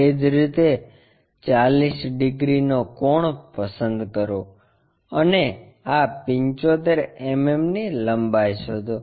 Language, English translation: Gujarati, Similarly, pick 40 degree angle and locate this 75 mm length